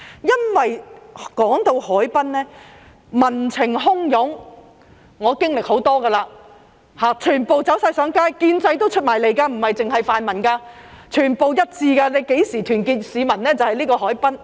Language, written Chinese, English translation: Cantonese, 因為談到海濱，便會民情洶湧，我已經歷過很多次，全部走上街，建制派也走出來，不只是泛民，全部一致，何時能夠團結市民，就是牽涉到海濱的時候。, I have experienced that many times everyone would take to the streets even those from the establishment camp not just those from the pan - democratic camp they just acted unanimously . The time for members of the public to stand in solidarity is when the harbourfront is involved